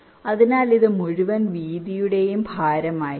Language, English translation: Malayalam, ok, so this will be the weight, the whole width